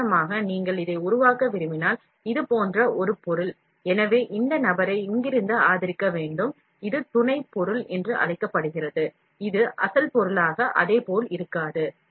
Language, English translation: Tamil, For example, if you want to make, an object like this, so this fellow has to be supported from here, this is called as supporting material which will not be the same, as a, as the original material